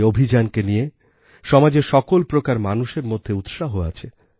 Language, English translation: Bengali, This campaign has enthused people from all strata of society